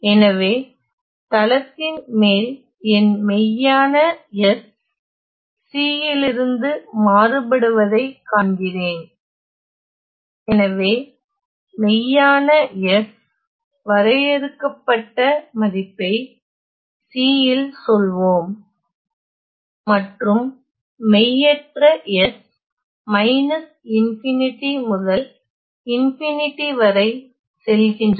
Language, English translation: Tamil, So, over the s plane I see that my real s varies from C; so, the real s takes of finite value let us say at C and the imaginary s goes from negative infinity to infinity